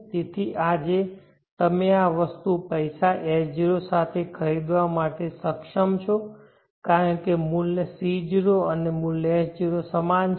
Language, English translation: Gujarati, So today now you are able to buy this item with money S0, because the value C0 and value S0 are same